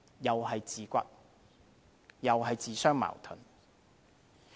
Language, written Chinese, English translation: Cantonese, 又是自打嘴巴，自相矛盾。, Again he is slapping his own face and contradicting himself